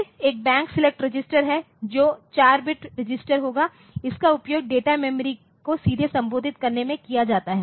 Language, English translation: Hindi, Then there is a Bank select register which is a 4 bit registered, it is used in direct addressing the data memory